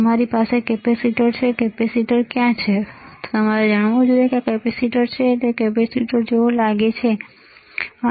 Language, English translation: Gujarati, You have capacitor where is capacitor now you guys should know, this is capacitor it looks like capacitor, right